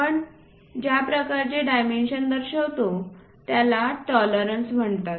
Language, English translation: Marathi, Such kind of dimensions what you represent are called tolerances